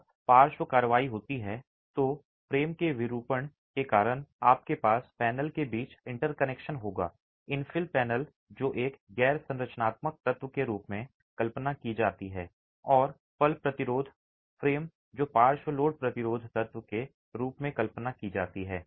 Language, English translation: Hindi, When there is lateral action due to deformation of the frame you will have interaction between the panel, the infill panel which is conceived as a non structural element and the moment resisting frame which is conceived as the lateral load assisting element